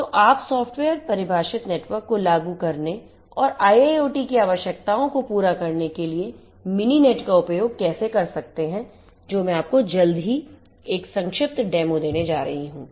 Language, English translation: Hindi, So, how you can use Mininet for implementing software defined networks and catering to the requirements of IIoT is what I am going to give you shortly a brief demo of